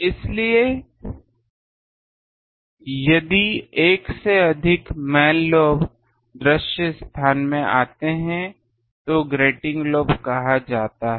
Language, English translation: Hindi, So, if more than one main lobe comes in to the visible space then they are called grating lobe